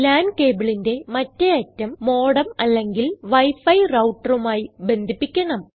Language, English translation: Malayalam, The other end of the LAN cable is connected to a modem or a wi fi router